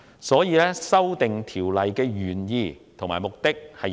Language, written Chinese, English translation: Cantonese, 所以，我認同《條例草案》的原意和目的。, Thus I agree with the original intention and purpose of the Bill